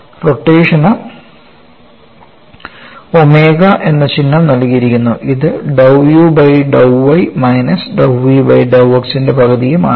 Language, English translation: Malayalam, The rotation is given a symbol omega that is nothing but one half of dou u by dou y minus dou v by dou x